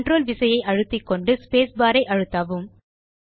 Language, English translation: Tamil, Hold the CONTROL Key and hit the space bar